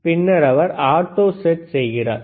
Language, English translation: Tamil, And then he is doing the auto set